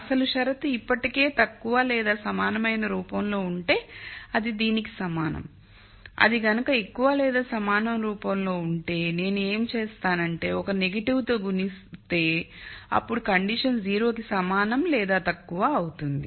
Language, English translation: Telugu, If the original condition is already in less than equal to form then it is the same as this if it is in the greater than equal to form then what I do is I multiply by a negative and then I have this condition has less than equal to 0